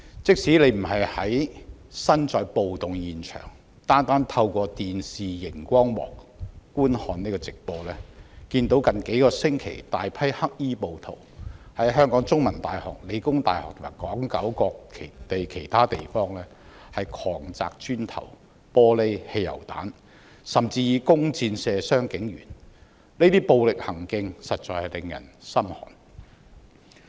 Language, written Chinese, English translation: Cantonese, 即使不是身處暴動現場，單單透過電視熒光幕觀看直播，也看到近數星期大批黑衣暴徒在香港中文大學、香港理工大學，以及港九其他地方狂擲磚頭、玻璃、汽油彈，甚至以弓箭射傷警員，這些暴力行徑實在令人心寒。, Even without being at the riot scenes one could see from the television live broadcasts that over the past few weeks many black - clad rioters have hurled bricks glass and petrol bombs and even fired arrows at police officers at The Chinese University of Hong Kong The Hong Kong Polytechnic University and other places over the territory . These violent crimes have really sent a chill down my spine